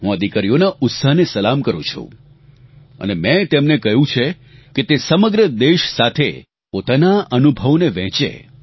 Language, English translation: Gujarati, I salute their valour and I have asked them to share their experiences with the entire country